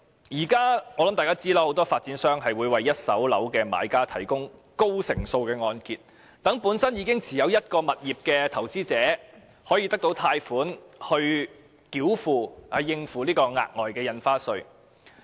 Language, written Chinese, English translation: Cantonese, 我想大家也知道，很多發展商會為一手住宅物業的買家提供高成數的按揭，讓本身已經持有物業的投資者可以獲得貸款，用以繳付額外印花稅。, I guess we all know that many developers will provide buyers of first - hand residential properties with mortgage loans at high loan - to - value ratios enabling investors holding properties to use such loans to pay the extra stamp duty